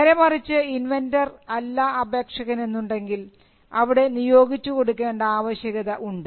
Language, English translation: Malayalam, In cases where the inventor is not the applicant, there is a need for assignment